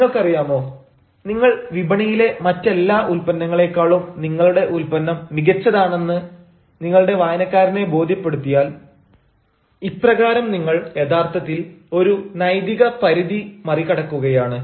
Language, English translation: Malayalam, you know, if you, if you ah, convince the reader that your product is better than all other products in the [mok/market] market, this, the in this way, you are actually going to cross an ethical limit